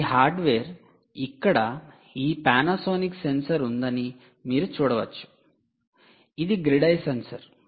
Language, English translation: Telugu, this hardware, you can see, has this panasonic sensor here